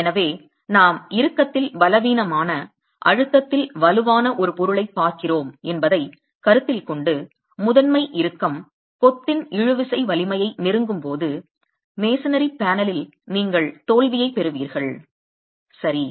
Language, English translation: Tamil, So when the considering that we are looking at a material which is weak in tension, strong in compression, when the principal tension approaches the tensile strength of masonry, you get failure in the masonry panel